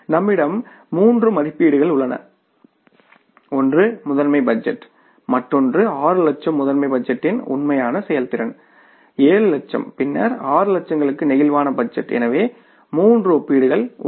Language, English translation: Tamil, One is the master budget, another is the actual performance of 6 lakhs, master budget was for the 7 lakhs and then the flexible budget for 6 lakhs, so 3 comparisons